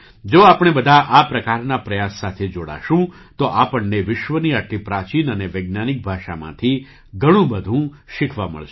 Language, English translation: Gujarati, If we all join such efforts, we will get to learn a lot from such an ancient and scientific language of the world